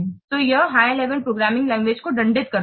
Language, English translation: Hindi, So it penalizes the high level languages, programming languages